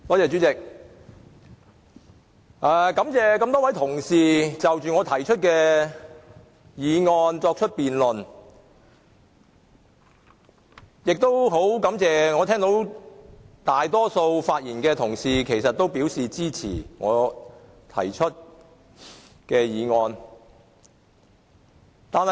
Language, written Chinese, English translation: Cantonese, 主席，感謝各位同事就我動議的議案進行辯論，亦感謝大多數同事發言支持議案。, President I thank all the colleagues for taking part in the debate on the motion I have moved and I also thank the majority of colleagues who have spoken in favour of it